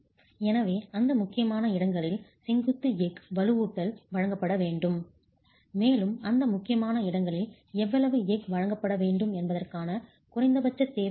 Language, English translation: Tamil, So, vertical steel reinforcement has to be provided in those critical locations and there is a minimum requirement of how much steel must be provided in those critical locations and it is prescribed to be at least 100mm square in those areas